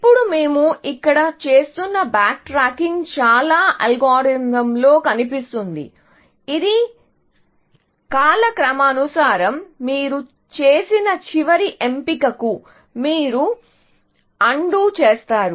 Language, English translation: Telugu, Now, the backtracking that we are doing here, in most of the algorithm that we have seen, is chronological in nature; that you undo the last choice that you make